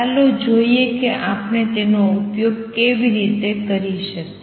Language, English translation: Gujarati, Let us see how we can use that